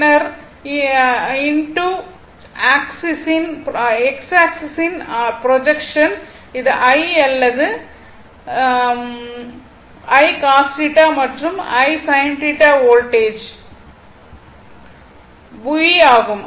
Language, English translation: Tamil, Then, your projection on this x axis it is I or a I I cos theta and this is I sin theta and this is your voltage V